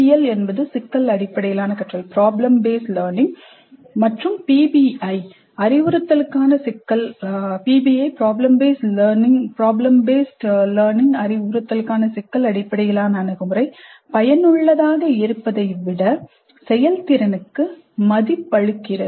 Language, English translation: Tamil, It is generally perceived that PBL problem based learning as well as PBI problem based approach to instruction values effectiveness or efficiency